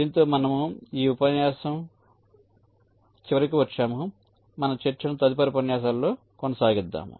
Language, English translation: Telugu, so we shall be continuing with our discussion in the next lecture